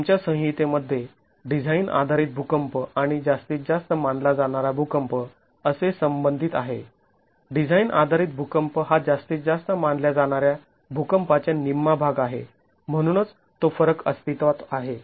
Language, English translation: Marathi, In our code, the design basis earthquake and the maximum considered earthquake are related as design basis earthquake is one half of the maximum considered earthquake